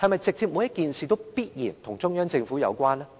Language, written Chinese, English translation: Cantonese, 是否每件事都必然與中央政府有關呢？, Is every issue inevitably related to the Central Government?